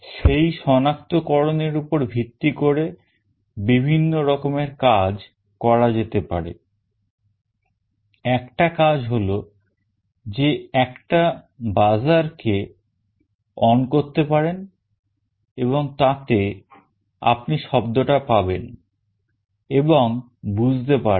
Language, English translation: Bengali, Based on that detection various things can be done; one thing is that a buzzer could be on, and then you can actually hear the sound and can make out